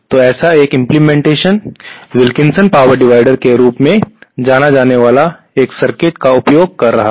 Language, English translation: Hindi, So, one such implementation is using a circuit known as Wilkinson power divider